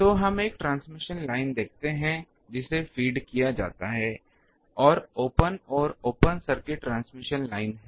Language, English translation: Hindi, So, let us see a transmission line ah which is fed and open and open circuit transmission line